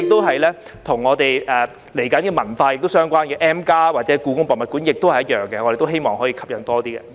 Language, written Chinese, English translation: Cantonese, 接下來，與文化相關的 M+ 或故宮文化博物館也是一樣，我們亦希望吸引到更多人參觀。, The same goes for the culture - related M or the Hong Kong Palace Museum to be opened next; we also hope to attract more people to visit these places